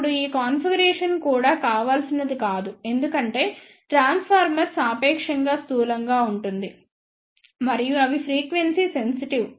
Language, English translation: Telugu, Now, this configuration is also not desirable because the transformer is relatively bulky and they are frequency sensitive